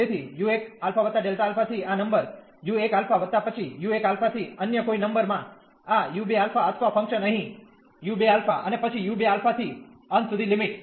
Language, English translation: Gujarati, So, u 1 alpha plus delta alpha to this number u 1 alpha plus then u 1 alpha to some other number this u 2 alpha or the function here u 2 alpha, and then from u 2 alpha to the end of the limit